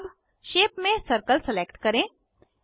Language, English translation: Hindi, Lets select Shape as circle